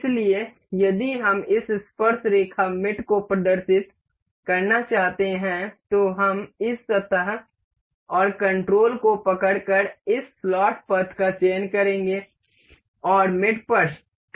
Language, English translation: Hindi, So, if we want to demonstrate this tangent mate we will select this surface and this slot path holding the control and click on mate